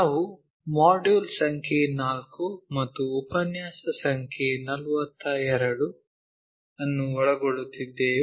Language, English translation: Kannada, We are covering module number 4 and lecture number 42